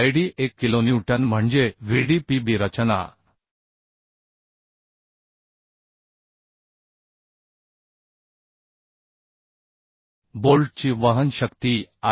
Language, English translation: Marathi, 78 kilonewton that means Vdpb the design bearing strength of bolt is coming 74